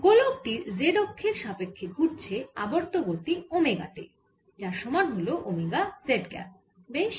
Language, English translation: Bengali, and it is rotating about the z axis with angular speed omega, which is omega z cap